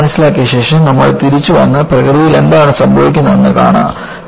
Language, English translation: Malayalam, After understanding, always, you come back and see, what happens in nature